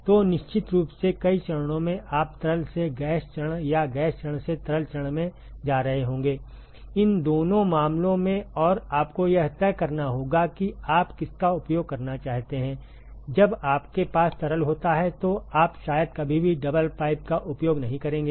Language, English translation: Hindi, So, of course, multiple phases you will have going from liquid to gas phase or gas phase to liquid phase, both these cases and you have to decide, which one to use you would probably never use a double pipe when you have a liquid to gas or a gas to liquid when you have multiple phases and we will see why that is the case in a short while ok